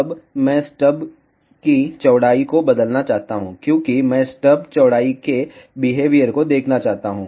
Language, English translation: Hindi, Now, I want to change the width of the stub, because I want to see the behavior of the stub width